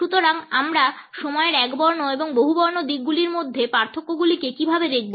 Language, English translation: Bengali, So, how do we look at the differences between the monochronic and polychronic orientations of time